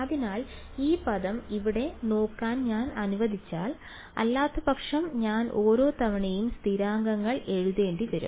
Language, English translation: Malayalam, So this if I just let us just look at this term over here ok, otherwise I will have to keep writing the constants each time